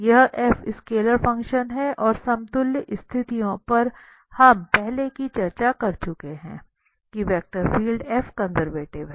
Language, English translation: Hindi, This f is a scalar function and the equivalent conditions which we have already discussed, that the vector field F is conservative